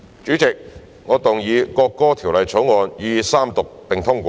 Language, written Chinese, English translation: Cantonese, 主席，我動議《國歌條例草案》予以三讀並通過。, President I move that the National Anthem Bill be read the Third time and do pass